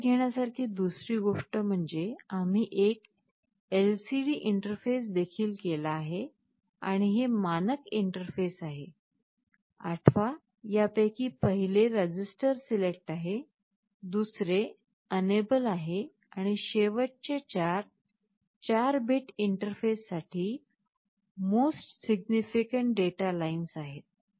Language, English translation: Marathi, The other thing to note is that we have also interfaced an LCD and these are the standard interfaces, you recall the first of these is register select, second one is enable, and last 4 are the most significant data lines for 4 bit interface